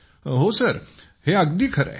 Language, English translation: Marathi, Yes sir, that is correct sir